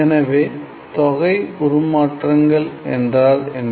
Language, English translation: Tamil, So, what is integral transforms